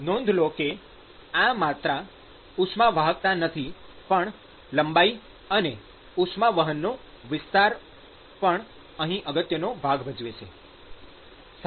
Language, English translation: Gujarati, Note that it is not just conductivity, but also the length and the area of heat transport plays an important role here